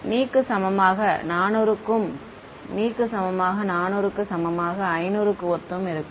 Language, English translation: Tamil, For ne equal to top of for ne equal to 400 equal to 500 similar one